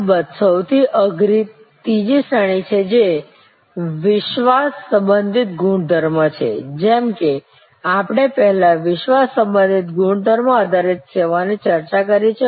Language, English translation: Gujarati, The toughest one of course, is the third category which is credence attribute, as we have discussed before credence attribute based services